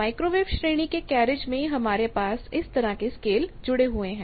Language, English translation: Hindi, So, in the carriage of the microwave range you have these scale attached